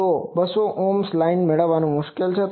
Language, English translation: Gujarati, So, getting a 200 ohm line is difficult